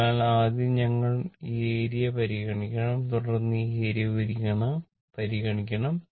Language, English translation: Malayalam, So, first we have to consider this area and then we have to consider this area